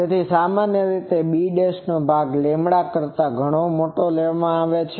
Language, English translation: Gujarati, So, generally the bs are taken much larger than lambda